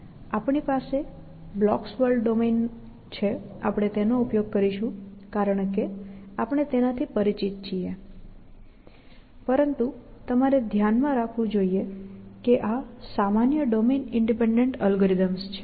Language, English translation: Gujarati, Again, we have resorting to the blocks while, because we are familiar with it, but you must keep in mind that these are general domain independent algorithms that we are considering